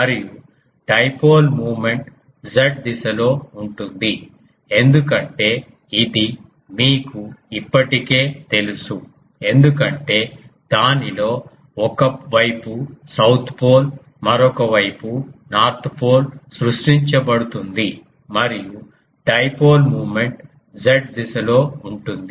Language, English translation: Telugu, And dipole moment is Z directed I said this you already know because one side of it will be ah south pole, another side is north pole will be created and the dipole moment will be in the Z direction